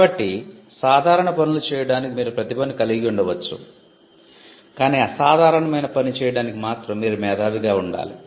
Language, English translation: Telugu, So, you could have talent to do ordinary tasks, but to do the extraordinary you had to be a genius